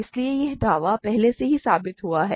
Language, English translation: Hindi, So, that this claim is proved already